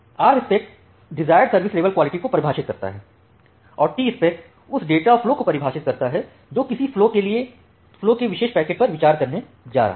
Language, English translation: Hindi, So, this Rspec defines the desired quality of service and the Tspec defines the data flow that which particular packets of a flow you are going to consider